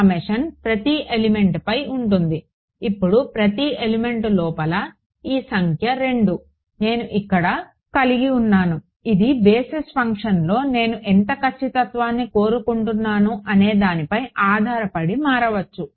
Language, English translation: Telugu, The summation is over every element, now inside each element this number 2 that I have over here this can vary depending on how much accuracy I want in the basis function ok